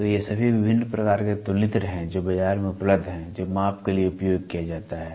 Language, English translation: Hindi, So, these are all the different kinds of comparators which are available in the market which is used for measurements